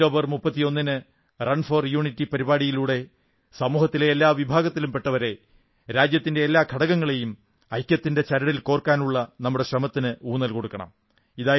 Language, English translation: Malayalam, I urge you all that on October 31, through 'Run for Unity', to strengthen our efforts and bind every section of the society as a unified unit